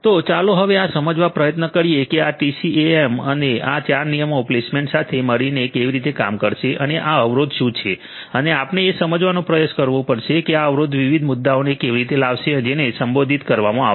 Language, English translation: Gujarati, So, let us now try to understand further how this TCAM and this 4 rule placement is going to work together what is this constant all about and we have to try to appreciate how this constant is going to bring in these different different issues which will have to be addressed